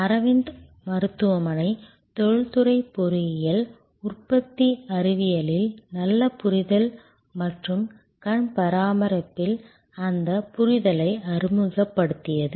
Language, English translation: Tamil, Aravind hospital introduced industrial engineering, good understanding of manufacturing science and deployment of that understanding in eye care